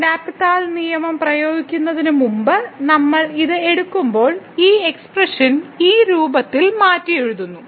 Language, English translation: Malayalam, So, when we take this when before we applying the L’Hospital rule we just rewrite this expression in this form